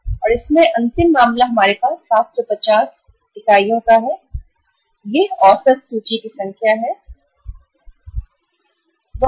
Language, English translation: Hindi, And in the last case we have 750 this is the number of average inventory the units which are there in the inventory